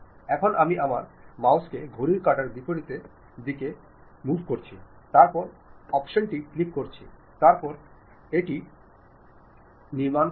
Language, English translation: Bengali, Now, I am moving my mouse in the counter clockwise direction, then click the option, then it construct it